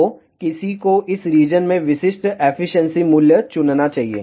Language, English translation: Hindi, So, one should choose the typical efficiency value in this particular region